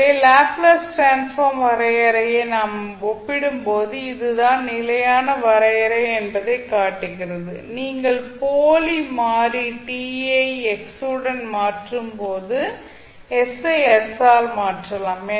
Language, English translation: Tamil, So you can say that when we compare the definition of Laplace transform shows that s is this, the standard definition and you simply replace s by s by a while you change the dummy variable t with x